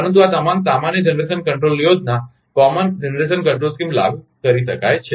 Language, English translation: Gujarati, But all this a common generation control scheme can be applied